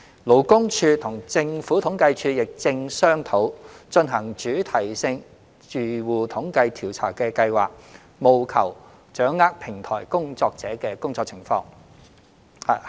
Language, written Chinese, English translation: Cantonese, 勞工處與政府統計處亦正商討進行主題性住戶統計調查的計劃，務求掌握平台工作者的工作情況。, The Labour Department and the Census and Statistics Department are also discussing plans to conduct a Thematic Household Survey with a view to gauging the working conditions of platform workers